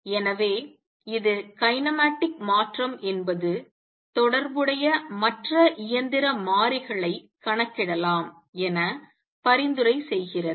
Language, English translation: Tamil, So, this is the kinematic change is that suggested an all the corresponding other mechanical variables can be calculated